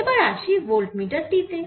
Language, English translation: Bengali, so now for voltmeter